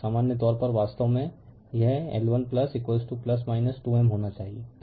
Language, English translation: Hindi, In general in general actually this should have been L 1 plus L 2 plus minus 2 M